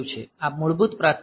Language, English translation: Gujarati, So, this is the default priority